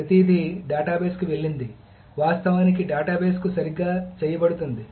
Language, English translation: Telugu, So everything has gone to the database actually being done correctly to the database